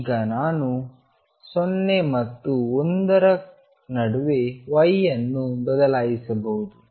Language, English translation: Kannada, Now I can vary y between 0 and 1